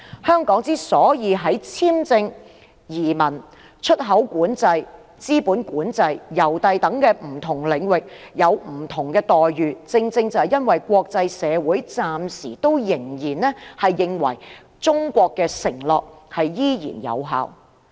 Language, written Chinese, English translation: Cantonese, 香港在簽證、移民、出口管制、資本管制、郵遞等不同領域享有不同待遇，正因為國際社會暫時仍然認為中國的承諾有效。, The reason why Hong Kong can enjoy different treatments in areas such as visa immigration import and export control capital control and mail services is that the international community still believes China will honour the pledges